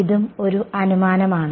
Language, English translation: Malayalam, This is also an assumption